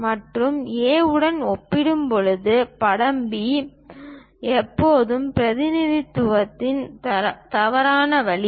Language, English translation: Tamil, Picture B is wrong way of representation when compared to picture A why